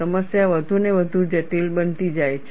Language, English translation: Gujarati, The problem becomes more and more complex